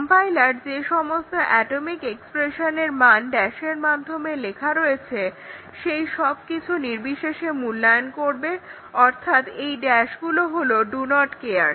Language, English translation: Bengali, So, the compiler will evaluate irrespective of the value of the atomic expression written as dash is a do not care this is becomes do not care